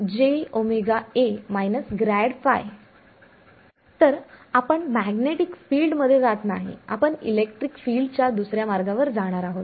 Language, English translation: Marathi, So, we are not going to go to the magnetic field we are going to go the second route to the electric field ok